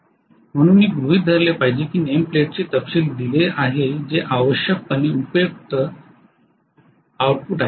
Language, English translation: Marathi, So I should assume that the name plate details are given that is essentially useful output